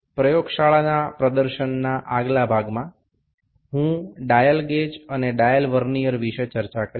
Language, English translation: Bengali, In the next part of lab demonstration, I will discuss about the dial gauge and the dial Vernier